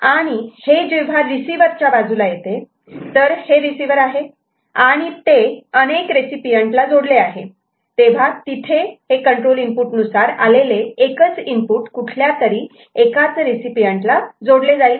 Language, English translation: Marathi, Now, when it comes to the receiver side say this is the receiver, and this is to be connected to multiple recipients, then there will be a control input to steer it to that input data to one of those recipients